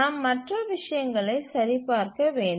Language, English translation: Tamil, We have to check other things